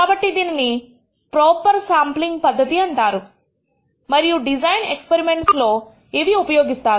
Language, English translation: Telugu, So, this is called proper sampling procedures and these are dealt with in the design of experiments